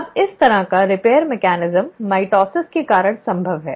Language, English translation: Hindi, Now this kind of a repair mechanism is possible because of mitosis